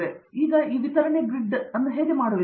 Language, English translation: Kannada, So, now, how do you do this distributed grid